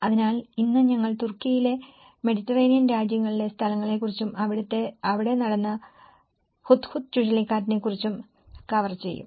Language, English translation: Malayalam, So, today we will be covering about places in Turkey in the Mediterranean countries and also the recent Hudhud cyclone which my present work is also going on